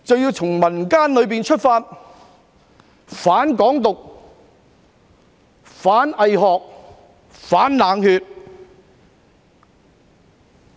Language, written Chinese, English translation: Cantonese, 我們從民間出發，反"港獨"、反"偽學"、反"冷血"。, We set off from the community to oppose against Hong Kong independence bogus academic and cold - bloodedness